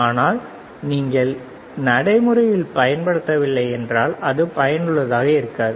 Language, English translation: Tamil, But if you do not apply into practical it is not useful